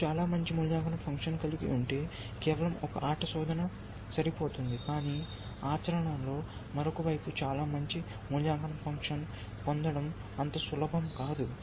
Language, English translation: Telugu, Then just one play search would be enough essentially, if you have very good evaluation function, but other side in practice it not so easy to get very good evaluation function